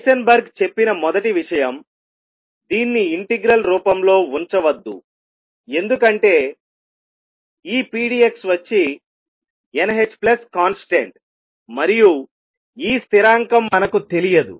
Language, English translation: Telugu, The first thing Heisenberg said; do not keep this in integral form why because this pdx could be n h plus some constant and we do not know this constant